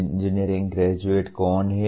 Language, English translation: Hindi, Who are engineering graduates